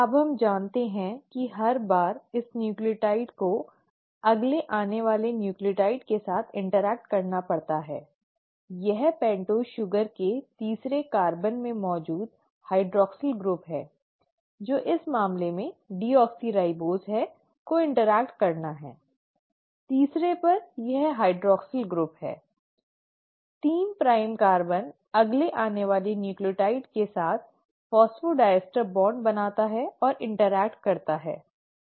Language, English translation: Hindi, Now we know that every time this nucleotide has to interact with the next incoming nucleotide, it is the hydroxyl group present in the third carbon of the pentose sugar which is deoxyribose in this case, has to interact; this hydroxyl group at the third, 3 prime carbon, interacts and forms of phosphodiester bond, with the next incoming nucleotide